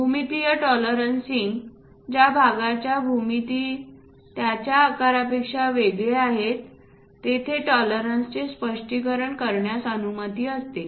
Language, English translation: Marathi, For geometric tolerancing it allows for specification of tolerance, for geometry of the part separate from its size